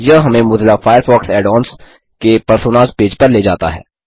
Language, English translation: Hindi, This takes us to the Personas page for Mozilla Firefox Add ons